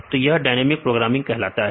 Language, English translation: Hindi, So, that is called dynamic programming